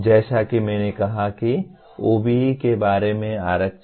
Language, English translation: Hindi, As I said reservations about OBE